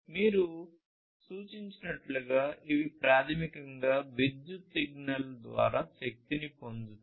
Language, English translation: Telugu, So, as this name suggests, these are basically powered by electric signal